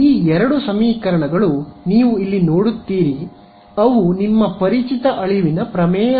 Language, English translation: Kannada, These two equations that you see over here they are your familiar extinction theorem right